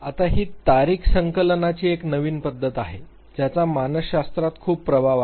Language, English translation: Marathi, Now, this is a new method of date collection which has a very heavy influence in psychology